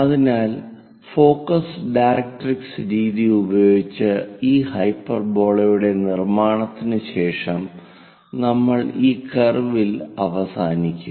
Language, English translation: Malayalam, So, after construction of these hyperbola using focus directrix method, we will end up with this curve